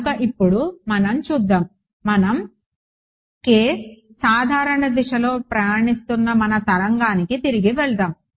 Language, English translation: Telugu, So, now, let us let us look at our let us go back to our wave that is travelling in a general direction k hat ok